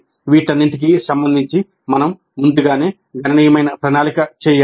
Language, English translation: Telugu, Regarding all these, we need to do substantial planning well in advance